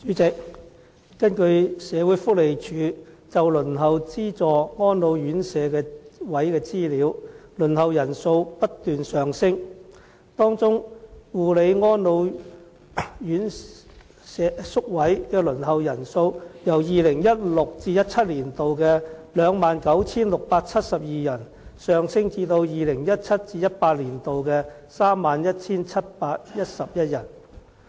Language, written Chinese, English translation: Cantonese, 主席，根據社會福利署就輪候資助安老院舍宿位的資料，輪候人數不斷上升，當中護理安老宿位的輪候人數，由 2016-2017 年度的 29,672 人，上升至 2017-2018 年度的 31,711 人。, President as shown by the statistics of the Social Welfare Department the number of people waiting for subsidized residential services for the elderly has been on the rise climbing from 29 672 in 2016 - 2017 to 31 711 in 2017 - 2018